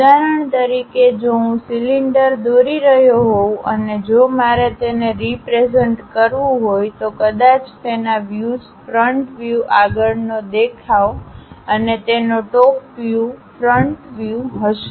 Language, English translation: Gujarati, For example, if I am drawing a cylinder; in drawing if I would like to represent, perhaps the views will be the front view and top view of that, we represent it in that way